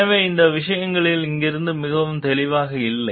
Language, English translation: Tamil, So, these things were not very clear from here